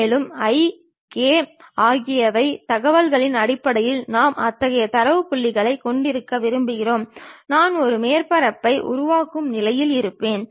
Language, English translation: Tamil, And, based on my i, k kind of information how many data points I would like to have, I will be in a position to construct a surface